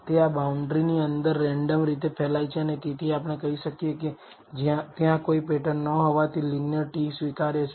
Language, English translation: Gujarati, It is spread randomly within this boundary and therefore, we can say since there is no pattern a linear t is acceptable